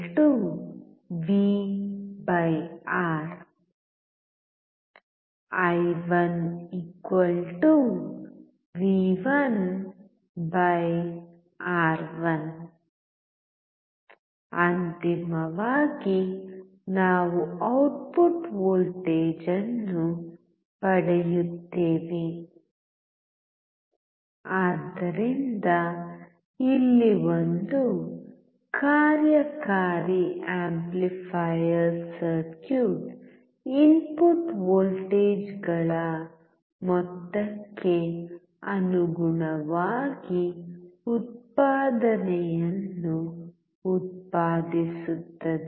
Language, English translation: Kannada, i1=V1/R1 Finally we get output voltage as So, an operational amplifier circuit here produces an output proportional to the sum of input voltages